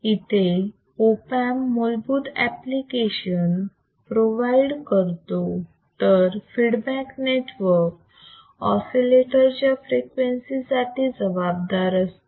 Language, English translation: Marathi, The Op amp provides the basic amplification needed while the feedback network is responsible for setting the oscillator frequency correct